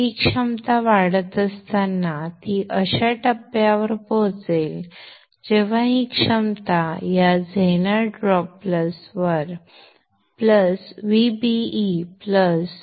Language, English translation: Marathi, As this potential is rising, it will reach a point when this potential will be higher than this zener drop plus VBE plus